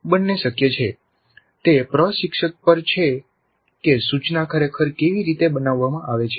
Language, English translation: Gujarati, Both are possible, it is up to the instructor how the instruction is really designed